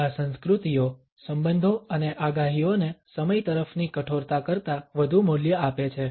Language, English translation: Gujarati, These cultures value relationship and predictions more than they value rigidity towards time